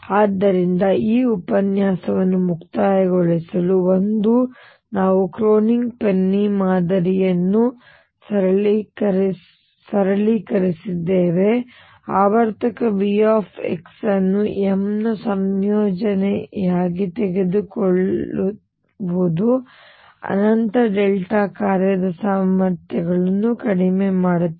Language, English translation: Kannada, So, to conclude this lecture: one, we simplified the Kronig Penny model by taking the periodic V x to be a combination of m equals minus infinity delta function potentials